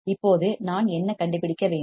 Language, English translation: Tamil, Now what do I have to find